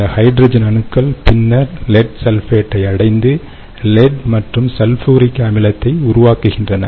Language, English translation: Tamil, these hydrogen atoms then attack lead sulfate and form lead and sulfuric acid